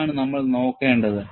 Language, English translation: Malayalam, That is what we are going to use